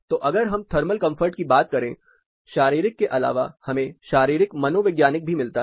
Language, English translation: Hindi, So, when you say thermal comfort apart from physiological you also get physio psychological